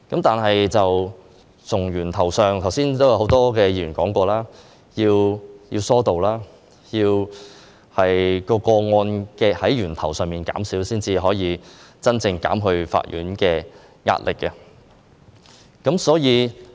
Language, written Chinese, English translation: Cantonese, 但是，正如很多議員剛才提到，要從源頭上減少個案才可以真正減輕法院的壓力。, However as mentioned by many Members earlier on the pressure on courts can only be genuinely alleviated with a reduction in the number of cases at source